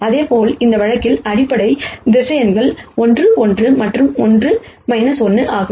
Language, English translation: Tamil, Similarly, in this case the basis vectors are 1 1 and 1 minus 1